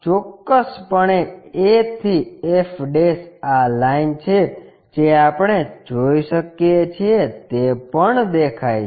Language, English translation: Gujarati, Definitely, a to f' whatever this line we can see that is also visible